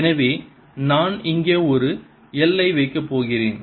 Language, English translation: Tamil, so i am going to put an l out here